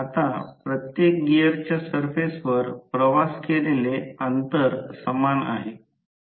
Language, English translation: Marathi, Now, the distance travelled along the surface of each gear is same